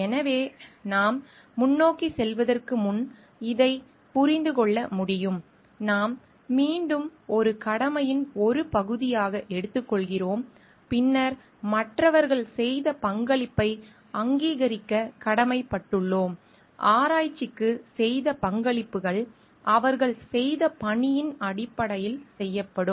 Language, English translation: Tamil, So, before we move ahead we can understand this we are again taking as a part of a duty and then obligation to recognize the contribution made by others in terms of our the work done a contributions made to the research that is being done